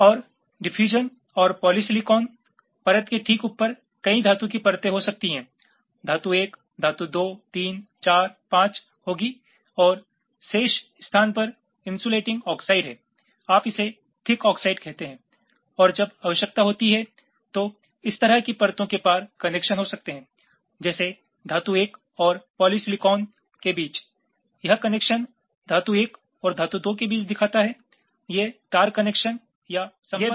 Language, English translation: Hindi, and just above diffusion and polysilicon layer there can be several metal layers will be metal one, metal two, three, four, five and the remaining space there is insulating oxide, you call it thick oxide and as then, when required, there can be connections across layers, like this connection shows between metal one, polysilicon